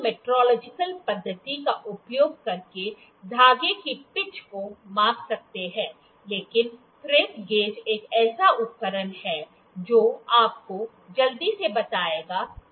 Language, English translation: Hindi, We can measure the pitch of the thread using other metrological method, but the thread gauge is one instrument that will just give you quickly what is the pitch